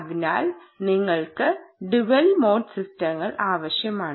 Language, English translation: Malayalam, therefore you needed dual mode systems